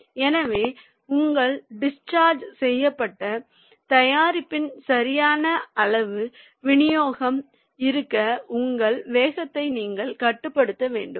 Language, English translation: Tamil, so it is that your velocity you have to control to have a proper size distribution of your discharged product